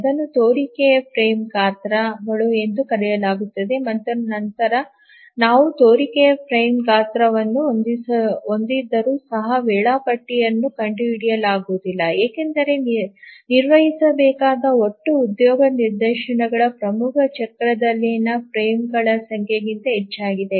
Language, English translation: Kannada, So, this we call as plausible frame sizes and then even if we have a plausible frame size, it is not the case that schedule may be found, maybe because we have the total number of job instances to be handled is more than the number of frames in a major cycle